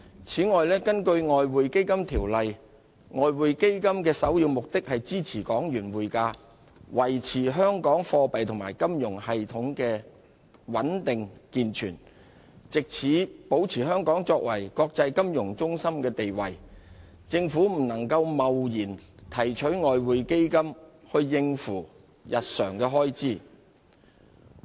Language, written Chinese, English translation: Cantonese, 此外，根據《外匯基金條例》，外匯基金的首要目的是支持港元匯價，維持香港貨幣及金融系統的穩定健全，藉此保持香港作為國際金融中心的地位，因此政府不能貿然提取外匯基金應付日常開支。, Besides the Exchange Fund Ordinance provides that the primary purpose of the Exchange Fund is to support the exchange value of the Hong Kong dollar and maintain the stability and integrity of the monetary and financial systems of Hong Kong so as to maintain Hong Kongs status as an international financial centre . Therefore the Government cannot rashly withdraw money from the Exchange Fund to meet its day - to - day expenses